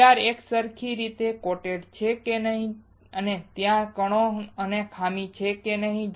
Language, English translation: Gujarati, Whether the PR is uniformly coated or not, and whether there are particles and defects or not